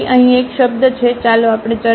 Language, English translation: Gujarati, So, there is a term here, let us discuss